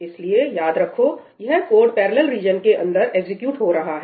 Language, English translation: Hindi, So, remember this code is getting executed inside a parallel region